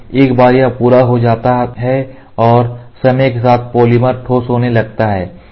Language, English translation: Hindi, So, once it is done and over a period of time the polymer starts curing over a period of time